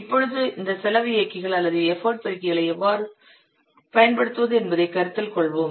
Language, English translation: Tamil, We'll consider how to use these cost drivers or the EFOT multipliers